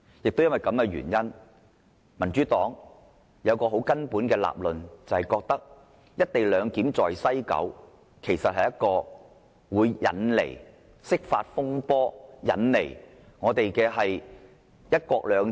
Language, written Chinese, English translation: Cantonese, 因此，民主黨有一個基本理論，就是"一地兩檢"在西九龍站實施，會引來釋法風波，影響"一國兩制"。, Hence the Democratic Party basically thinks that the implementation of the co - location arrangement at the West Kowloon Station will lead to the interpretation of the Basic Law which will in turn affect one country two systems